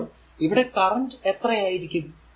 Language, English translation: Malayalam, So, then what then what will be the current then